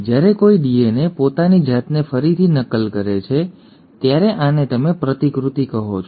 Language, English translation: Gujarati, When a DNA is re copying itself this is what you call as replication